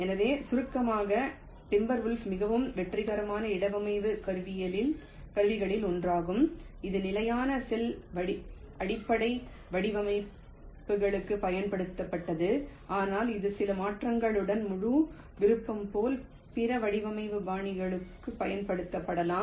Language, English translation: Tamil, so to summaries, timber wolf was one of the very successful placement tools that was used for standard cell base designs, but this, with some modification, can also be used for the other design styles, like full custom